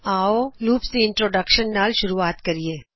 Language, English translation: Punjabi, Let us start with the introduction to loops